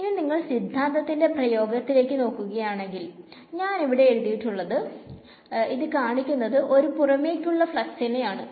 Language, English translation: Malayalam, So, if you look at the expression of the theorem that I have written over here, this expression over here is outward flux ok